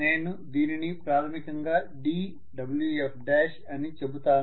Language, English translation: Telugu, So I can say basically this is dWf dash